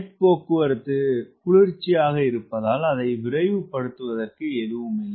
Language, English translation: Tamil, jet transport is cool, it as nothing in a hurry to accelerate